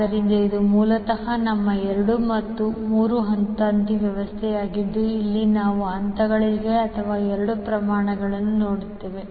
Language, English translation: Kannada, So, this is basically our 2 phase 3 wire system where we see the phases or 2 in the quantity